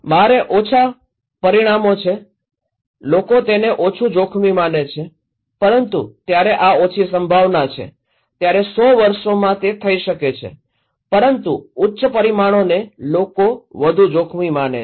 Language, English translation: Gujarati, I have at have low consequences, people consider that as low risk but when this is low probability, may be happening in 100 years but high consequences people consider that as more risky